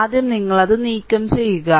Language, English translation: Malayalam, First you remove it so, let me clear it